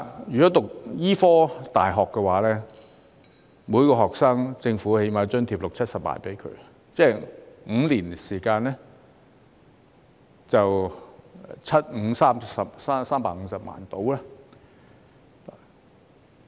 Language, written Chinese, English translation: Cantonese, 以醫科大學為例，政府最少津貼每名學生六七十萬元，即5年時間大約需要350萬元。, Taking medical universities as an example each student will be allocated a government subsidy of at least 600,000 to 700,000 annually totalling about 3.5 million for a five - year study